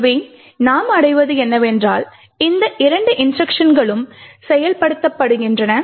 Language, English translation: Tamil, Therefore, what we would achieve is that these two instructions are executed